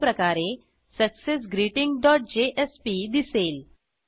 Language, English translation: Marathi, This is how your successGreeting dot jsp will look